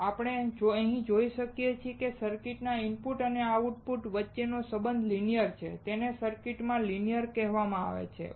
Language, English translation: Gujarati, Now as we see here, the relation between the input and output of a circuit is linear, it is called the linear in circuit